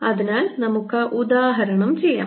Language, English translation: Malayalam, again, will show it through an example